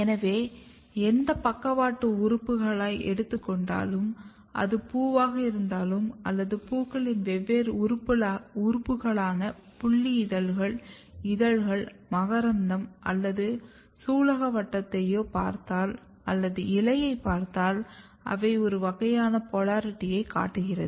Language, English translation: Tamil, So, if you look any lateral organs whether it is flower or in different organs of the flowers sepal, petals, stamen or carpels or if you look the leaf they display a kind of polarity